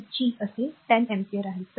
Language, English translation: Marathi, So, i square by G so, i is 10 ampere